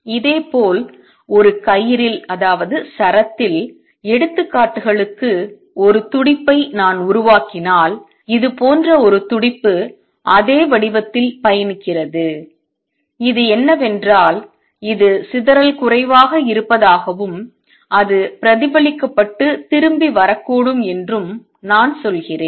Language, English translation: Tamil, Similarly on a string, if I create a pulse for examples a pulse like this it travels down the same shape and this, what I mean it is dispersion less and that it may get reflected and come back